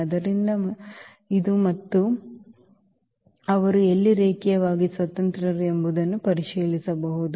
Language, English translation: Kannada, So, this one and this one, one can check where they are linearly independent